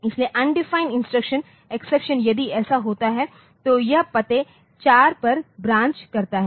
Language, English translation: Hindi, So, undefined instruction exception if that occurs then it branches to the address 044, ok